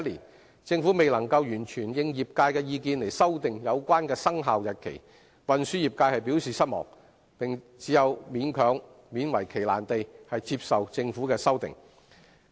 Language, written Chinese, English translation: Cantonese, 對於政府未能完全應業界意見修訂有關生效日期，運輸業界表示失望，並只有勉為其難地接受政府的修訂。, The transports trades expressed disappointment at the Governments refusal to fully heed the views of the trades in amending the relevant commencement dates and could only unwillingly accept the Governments amendments